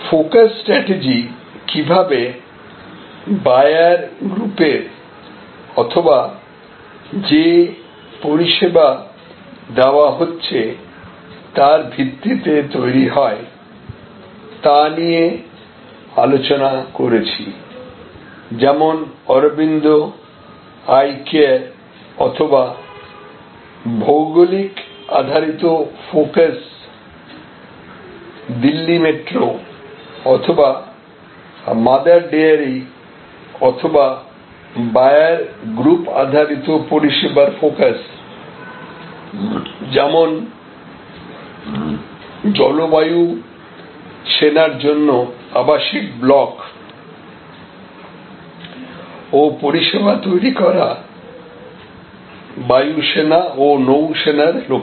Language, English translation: Bengali, So, we discussed about the focus strategy also how the focus strategy be done on the basis of the buyer group or service offered like Arvind Eye Care or geographic based focus like Delhi Metro or Mother Dairy or a buyer group based service focus like say service for creating residential blocks and services for Jal Vayu Sena